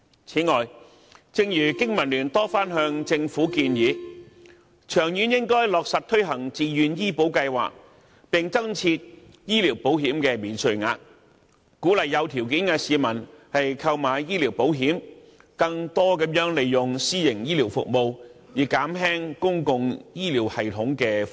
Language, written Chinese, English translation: Cantonese, 此外，正如經民聯多番向政府建議，長遠應落實推行自願醫保計劃，並增設醫療保險免稅額，鼓勵有條件的市民購買醫療保險，更多地使用私營醫療服務，以減輕公共醫療系統的負擔。, Besides as suggested by BPA on multiple occasions in the long run the Voluntary Health Insurance Scheme should be implemented and tax allowances for medical insurance should be introduced so as to encourage people who can afford it to take out medical insurance thereby using more private healthcare services and hence reducing the burden on public healthcare system